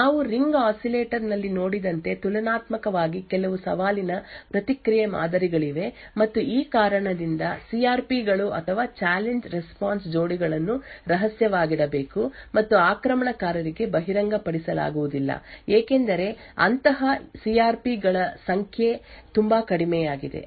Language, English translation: Kannada, There are comparatively few challenge response patterns as we have seen in the ring oscillator and because of this reason the CRPs or the Challenge Response Pairs have to be kept secret and cannot be exposed to the attacker because the number of such CRPs are very less